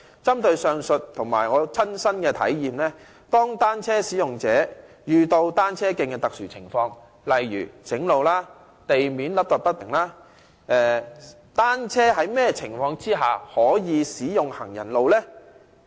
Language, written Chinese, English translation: Cantonese, 針對上述例子和我的親身體驗，當單車使用者遇上單車徑的特殊情況，例如修路或路面凹凸不平時，單車在甚麼情況下才可使用行人路呢？, From these examples as well as my personal experience under what circumstances can pavements be used by bicycles when something unusual happens to cycle tracks such as when road repairs are being carried out or when the road surface is found to be uneven?